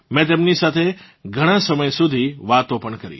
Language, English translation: Gujarati, I also talked to them for a long time